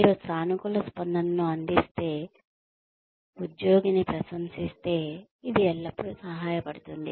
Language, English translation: Telugu, If you provide positive feedback, praise an employee, it always helps